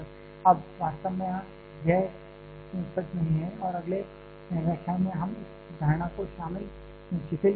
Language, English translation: Hindi, Now, truly speaking that is not true and in the next lecture we shall we relaxing this assumption